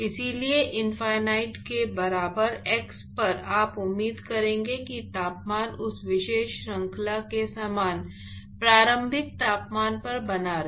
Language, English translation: Hindi, Therefore, the at x equal to infinity you would expect that the temperature is maintained at the same initial temperature of that particular series